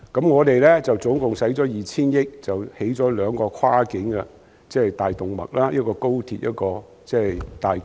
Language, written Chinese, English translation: Cantonese, 我們總共花費 2,000 億元興建兩條跨境大動脈，即高鐵和港珠澳大橋。, We have spent a total of 200 billion on the construction of two cross - border arteries namely the Express Rail Link and the Hong Kong - Zhuhai - Macao Bridge